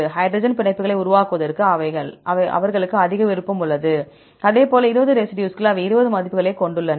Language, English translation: Tamil, They have high preference to form hydrogen bonds right, likewise 20 residues, they have 20 values